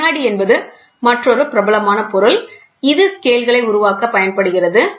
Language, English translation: Tamil, Glass is another popular material which is used for making scales